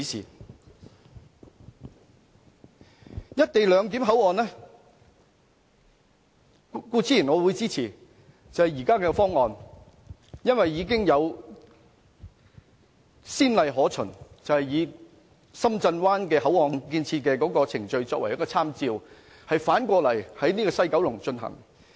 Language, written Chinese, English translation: Cantonese, 就"一地兩檢"口岸，我固然會支持現時的方案，因為已有先例可循，以深圳灣口岸的建設程序作為參照，反過來在西九龍進行。, Concerning the port area for co - location I of course support the current proposal as a good example can be drawn from the existing procedures in Shenzhen Bay . We just need to adopt the same in West Kowloon